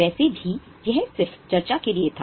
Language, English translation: Hindi, Anyway, this was just for discussion